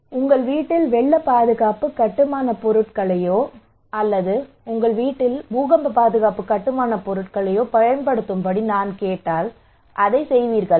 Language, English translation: Tamil, If I ask you that please use flood protective building materials in your house or earthquake protective building materials in your house will you do it